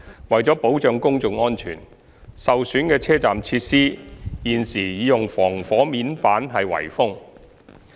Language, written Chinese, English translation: Cantonese, 為保障公眾安全，受損的車站設施現已用防火面板圍封。, To safeguard public safety the damaged station facilities have been fenced off with fire - proof hoarding